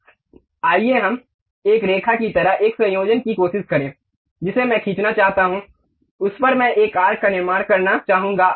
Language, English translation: Hindi, Now, let us try a combination like a line I would like to draw, on that I would like to construct an arc